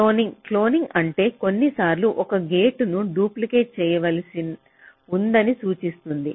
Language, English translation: Telugu, cloning as it implies that we sometimes may need to duplicate a gate